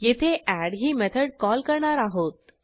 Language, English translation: Marathi, Here we call our add method